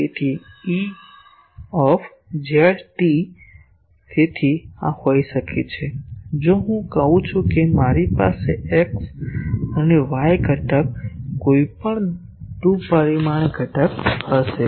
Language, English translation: Gujarati, So, E z t; so this can be; if I say that I will have x and y component any 2 dimensional component